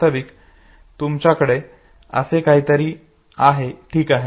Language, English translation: Marathi, Actually you have something like this, okay